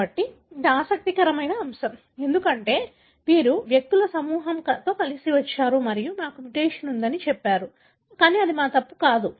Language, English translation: Telugu, So, this is interesting aspect, because these are the group of individuals who came together and said we have a mutation, but it is not our fault